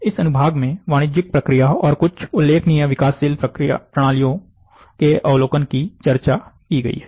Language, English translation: Hindi, An overview of commercial process and a few notable systems under development, are discussed in this section